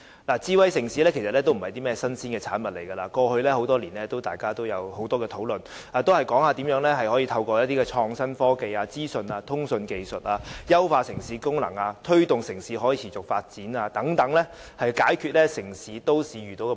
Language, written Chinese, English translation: Cantonese, 其實智慧城市不是甚麼新鮮產物，過去多年，大家也有很多討論，談論如何透過創新科技、資訊通訊技術，優化城市功能及推動城市可持續發展，以解決都市遇到的問題。, Smart city is actually not a novelty . Over the years Members have had many discussions on ways to enhance the functions of a city and promote its sustainable development through innovation and technology and information communications technology in order to resolve problems encountered by the city